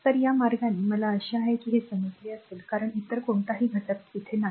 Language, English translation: Marathi, So, this way you have to understand I hope you have understood this because no other element